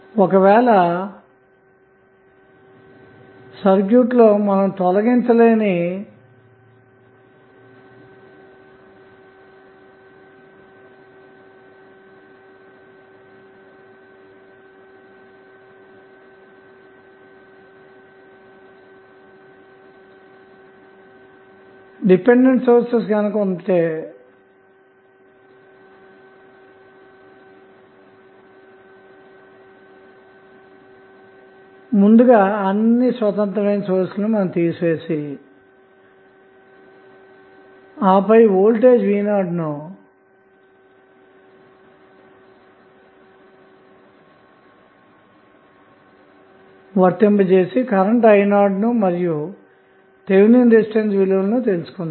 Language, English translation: Telugu, So, when you have dependent source available in the circuit which you cannot remove you will first remove all the independent sources and then apply voltage v naught and try to measure the current i naught and accordingly you can find out the value of Thevenin resistance